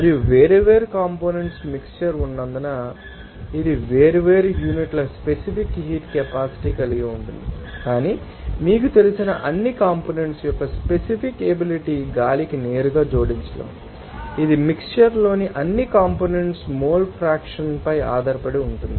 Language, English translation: Telugu, And since there is a mixture of different components and it will have different units specific heat capacity, but you cannot directly add those you know that specific capacity of all components to air it depends on also mole fraction of all those components in the mixture